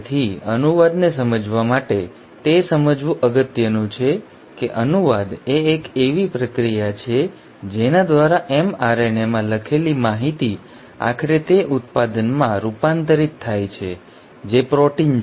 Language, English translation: Gujarati, So to understand translation it is important to understand that translation is the process by which the information which is written in mRNA is finally converted to the product which are the proteins